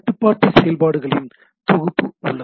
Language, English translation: Tamil, There are several control function